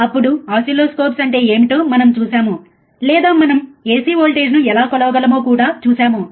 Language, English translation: Telugu, Then we have seen what is oscilloscopes, or we have also seen how we can measure the ac voltage, right